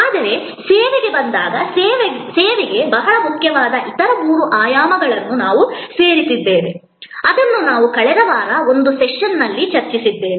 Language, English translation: Kannada, But, when it comes to service, we have added three other dimensions which are very important for service, which we discussed in one of the sessions last week